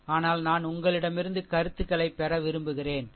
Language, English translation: Tamil, But I want to get feedback from you ah, right